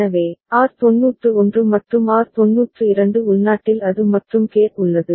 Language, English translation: Tamil, So, R 91 and R 92 internally it is AND gate is there